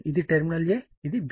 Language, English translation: Telugu, This is my terminal A and this is my B